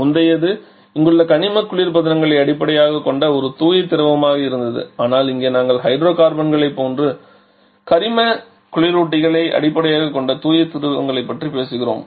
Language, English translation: Tamil, Third is the pure fluids pure fluids generally refers to hydrocarbons previous one was a pure fluid based on inorganic refrigerants here whereas here we are talking about pure fluids based on the organic reference like the hydrocarbons